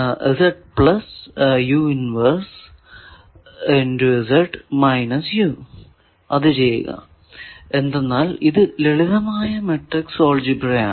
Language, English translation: Malayalam, So, do that it is simple matrix algebra and then, it will become like this